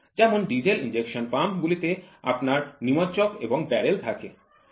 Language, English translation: Bengali, For example, in diesel injection pumps you have plunger and barrel